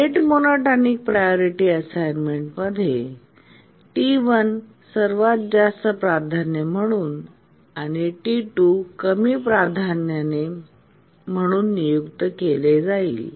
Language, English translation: Marathi, In the rate monotonic priority assignment, T1 will be assigned highest priority and T2 a lower priority